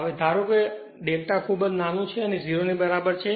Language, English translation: Gujarati, Now, assuming delta is very small equal to 0